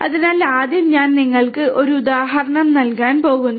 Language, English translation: Malayalam, So, first of all I will I am just going to give you an example